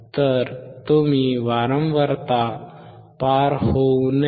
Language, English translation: Marathi, So, low pass low frequency should not pass